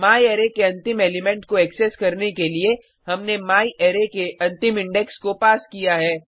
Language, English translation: Hindi, To access the last element of myArray , we have passed the last index of myArray